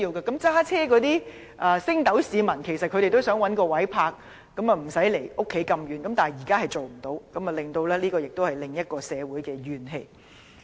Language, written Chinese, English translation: Cantonese, 駕車的升斗市民想找到一個無須離家太遠的泊車位，但現時做不到，導致社會產生另一種怨氣。, At present grass - roots drivers cannot find parking space which are not too far away from their home and this has caused another kind of social grievance